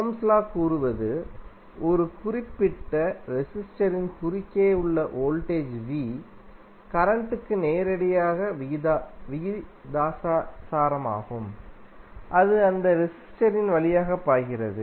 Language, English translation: Tamil, Ohm’s law says that, the voltage V across a particular resistor is directly proportional to the current I, which is flowing through that resistor